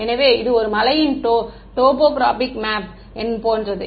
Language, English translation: Tamil, So, it's like a topographic map of a hill right